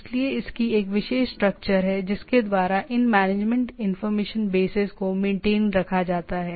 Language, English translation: Hindi, So it has a particular structure by which these management information bases are maintained